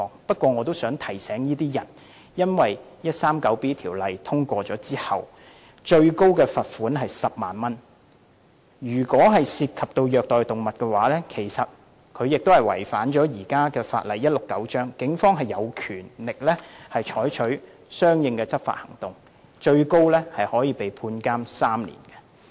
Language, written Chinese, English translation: Cantonese, 但我想提醒這些人，第 139B 章獲得通過後，最高罰款為10萬元，如果涉及虐待動物，便會同時違反現行法例第169章，警方便有權採取相應的執法行動，最高刑罰為監禁3年。, 139B and in case cruelty to animals is involved an offence will be committed under the existing Cap . 169 . The Police may take the relevant enforcement actions and the maximum penalty is three years imprisonment